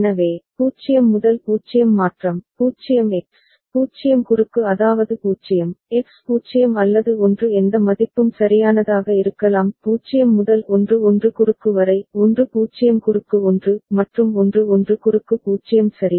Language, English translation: Tamil, So, 0 to 0 transition, 0 X, 0 cross that means 0, X can be 0 or 1 any value right; for 0 to 1 1 cross; 1 0 cross 1; and 1 1 cross 0 ok